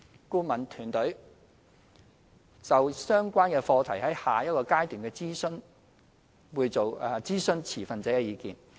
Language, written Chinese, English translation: Cantonese, 顧問團隊會就相關課題在下一個階段諮詢持份者的意見。, The Consulting Team will consult stakeholders on the issues concerned in the next stage of consultation exercise